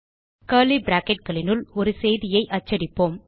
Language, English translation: Tamil, Alright now inside the curly brackets, let us print a message